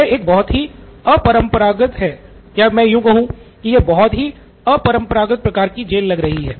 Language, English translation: Hindi, This is a very unconventional or let me say this was a very unconventional kind of prison